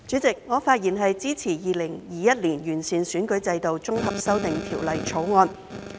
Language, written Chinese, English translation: Cantonese, 主席，我發言支持《2021年完善選舉制度條例草案》。, President I rise to speak in support of the Improving Electoral System Bill 2021 the Bill